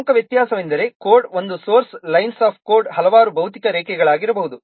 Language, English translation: Kannada, The major difference is that a single source line of code, it may be several physical lines